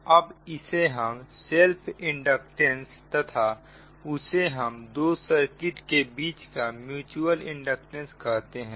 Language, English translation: Hindi, now, this one, this one, we call self and this is that mutual inductance between the two circuit